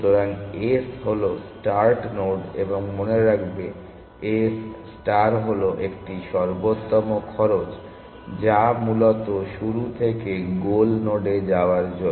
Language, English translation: Bengali, So, s is the start node, and remembers, s star is a optimal cost of going from start to the goal node essentially